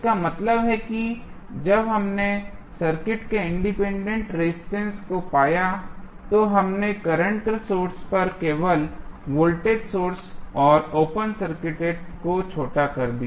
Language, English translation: Hindi, That means when we found the input resistance of the circuit, we simply short circuited the voltage source and open circuit at the current source